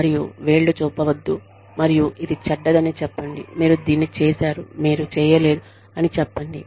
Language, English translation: Telugu, And, do not point fingers, and say, this is bad, this is bad, you have done this, you have not